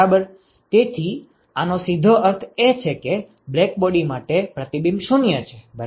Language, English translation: Gujarati, So this simply means that reflectivity is 0 for a blackbody ok